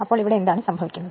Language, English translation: Malayalam, So, what what is happening here